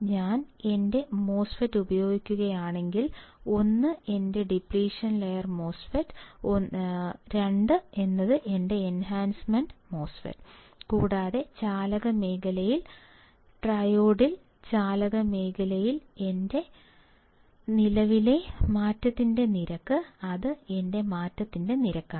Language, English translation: Malayalam, The statement is if I use my MOSFET, 1 is my depletion MOSFET; 1 is my enhancement MOSFET and what it says that in conduction region triode, in conduction region my rate of change of current that is my I D that is my rate of change